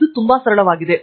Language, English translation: Kannada, It is as simple as this